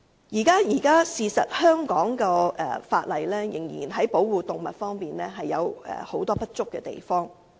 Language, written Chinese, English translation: Cantonese, 事實上，現時香港在保護動物的法例方面，仍有很多不足之處。, As a matter of fact there are still deficiencies in the existing legislation relating to the protection of animals in Hong Kong